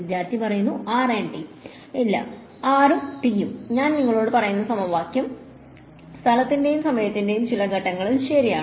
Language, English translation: Malayalam, Rand t, no; r and t I just telling us the equation that true at some point in space and time